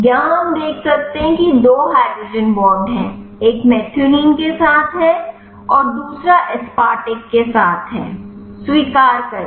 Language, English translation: Hindi, Here we can see there are two hydrogen bonds, one is with methionine one is with the aspartic accept